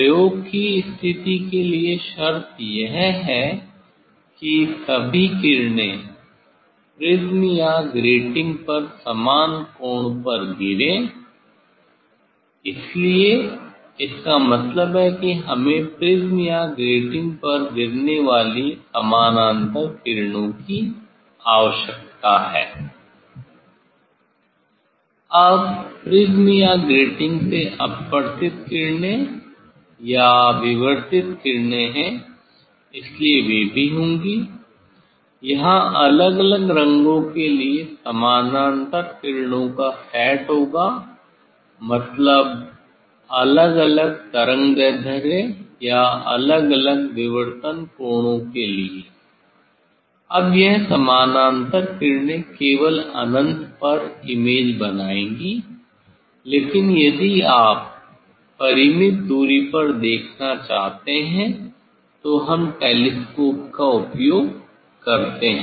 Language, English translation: Hindi, For condition of the experiment is that all rays will fall at same angle on the prism or grating, so that means, we need parallel rays falling on the prism or grating, Now, that refracted rays or diffracted rays from prism or grating, so they will be also; there will be set of parallel rays for different colors means different wavelengths or for different diffracted angles, now this parallel rays, will form the image only at infinity, but if you want to see at finite distance, so we use telescope